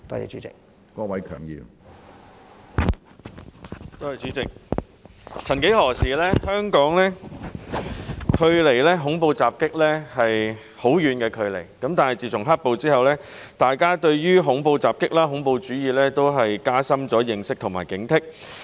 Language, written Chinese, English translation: Cantonese, 主席，曾幾何時，香港距離恐怖襲擊相當遙遠，但自從"黑暴"之後，大家對恐怖襲擊、恐怖主義也加深了認識和警惕。, President terrorist attacks were once very remote to Hong Kong . However after the black - clad violence we have become more conscious about and vigilant of terrorist attacks and terrorism